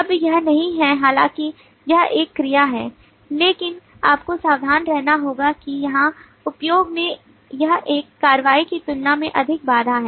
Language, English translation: Hindi, now this is not this is though this is a verb, but you will have to be careful that in the usage here this is more a constraint then an action